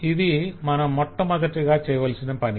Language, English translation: Telugu, that is the first thing that needs to be done